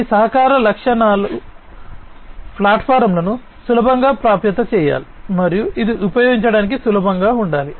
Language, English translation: Telugu, These collaboration platforms should be easily accessible, and this should be easy to use